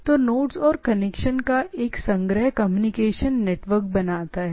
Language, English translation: Hindi, So, a collection of node and connections forms a communication network